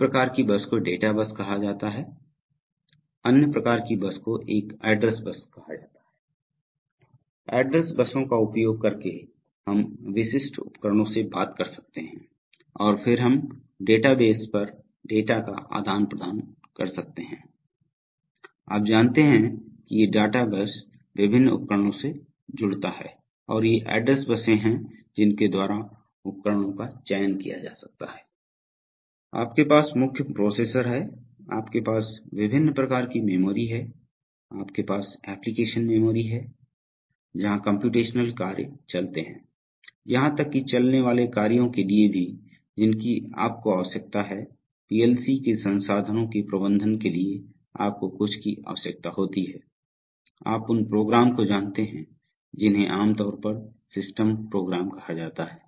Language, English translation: Hindi, One kind of bus is called a data bus another kinds of bus is called an address bus, so using address buses we can talk to specific devices and then we can exchange data over the databases so, you know this is the, these are the databases connects to various devices and these are the address buses by which the devices can be selected, you have the main processor, you have various kinds of memory, you have application memory where the computational tasks run, even for running tasks you need a, for managing the resources of the PLC you need some, you know programs which are typically called systems programs